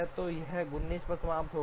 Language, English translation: Hindi, So this finishes at 19